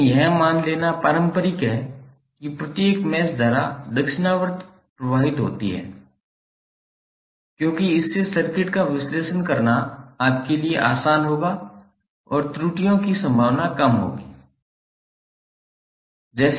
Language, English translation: Hindi, But it is conventional to assume that each mesh current flows clockwise because this will be easier for you to analyse the circuit and there would be less chances of errors